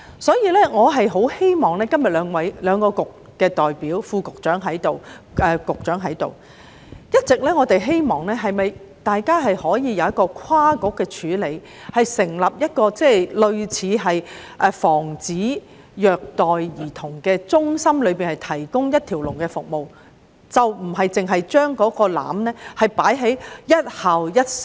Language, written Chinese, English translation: Cantonese, 既然兩個政策局今天均有代表與會，包括副局長和局長，我想表達我們一直希望政府能夠跨局處理這個問題，成立防止虐待兒童中心，以提供一條龍服務，而不是只把雞蛋放在"一校一社工"的籃子裏。, Now that the representatives of the two Policy Bureaux including the Under Secretary and the Secretary are present I would like to express our long - standing wish that the Government will make cross - bureau efforts to tackle this issue and set up an anti - child abuse centre to provide one - stop services rather than putting all its eggs in the basket of one SSW for each school